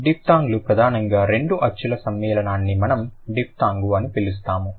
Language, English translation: Telugu, The diphthongs are primarily the combination of two vowel sound together we are going to call it a diphthong